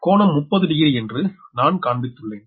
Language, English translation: Tamil, so that means this angle is thirty degree